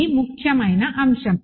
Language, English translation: Telugu, This is the important point